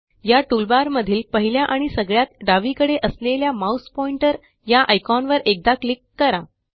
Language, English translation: Marathi, In this toolbar, let us click once on the mouse pointer icon which is the first and the leftmost icon